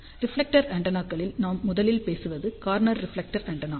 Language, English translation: Tamil, In reflector antennas we will first talk about corner reflector antenna